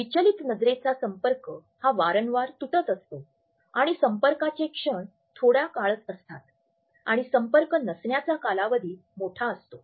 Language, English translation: Marathi, A distracted eye contact is one which tends to frequently connect and disconnect and moments of contact are brief and periods of disconnect are longer